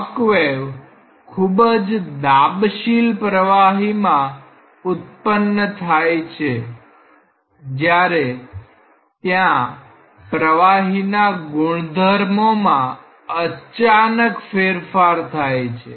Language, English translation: Gujarati, Shock waves are created by situations in highly compressible flows when there is a abrupt discontinuity in the fluid properties